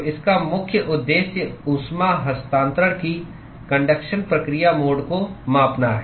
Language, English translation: Hindi, So, its key purpose is to quantify conduction process mode of heat transfer